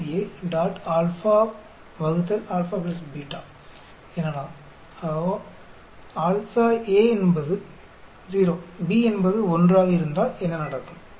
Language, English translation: Tamil, So, if A is 0 B is 1, what happens